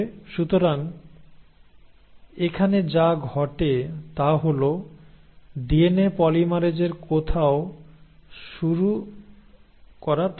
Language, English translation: Bengali, So what happens here is all that DNA polymerase needs is somewhere to start